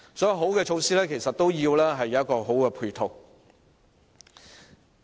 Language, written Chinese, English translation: Cantonese, 所以，好的措施其實需要有好的配套支持。, Hence a good initiative really needs support by good ancillary facilities